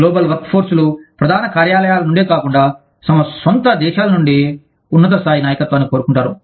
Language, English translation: Telugu, Global workforces, want top level leadership, from within their own countries, not just from headquarters